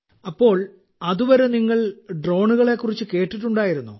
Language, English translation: Malayalam, So till then had you ever heard about drones